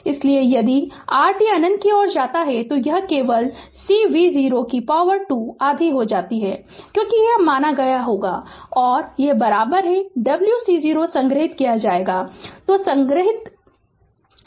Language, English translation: Hindi, So, if your t tends to infinity, then it is simply becoming half C V 0 square because this term will not be there and is equal to initially stored w C 0 right